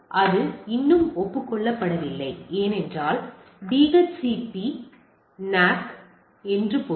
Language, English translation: Tamil, If it is still not acknowledge that means it is DHCPNACK